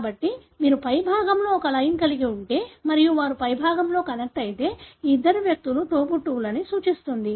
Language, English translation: Telugu, So, if you have a line on the top and they are connected on the top that represents that these two individuals are siblings